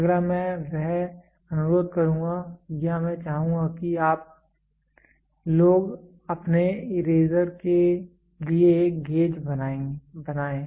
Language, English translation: Hindi, The next one is I would request or I would like you guys to make a gauge for your eraser